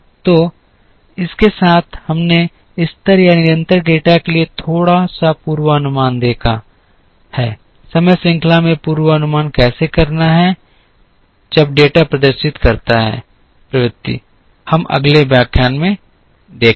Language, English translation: Hindi, So, with this we have seen a little bit of forecasting for level or constant data, in time series how to do forecasting when the data exhibits trend we will see in the next lecture